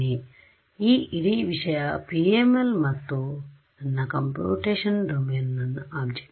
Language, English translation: Kannada, So, this whole thing is PML and this is my computational domain my object ok